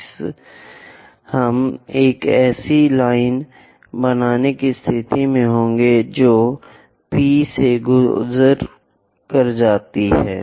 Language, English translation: Hindi, Similarly, we will be in a position to construct a line which pass through P 3